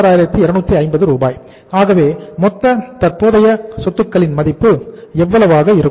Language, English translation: Tamil, So the total amount of the current assets is going to be how much